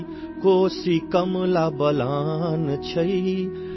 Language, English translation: Urdu, Koshi, Kamla Balan,